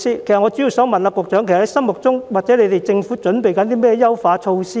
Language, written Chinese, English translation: Cantonese, 其實，局長心目中或政府正準備推出甚麼優化措施？, In fact what are the enhancements in the Secretarys mind or what are the enhancements to be introduced by the Government?